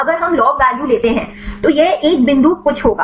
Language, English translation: Hindi, If we take the log value this will be one point something right